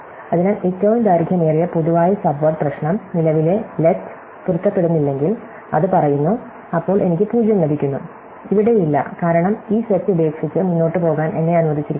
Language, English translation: Malayalam, So, the longest common subword problem, it say if the current let it does not match, then I get a 0, here its not there, because I am allowed to drop this set and go head